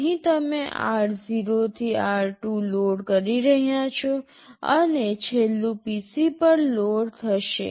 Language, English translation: Gujarati, Here you are loading r0 to r2, and the last one will be loaded to PC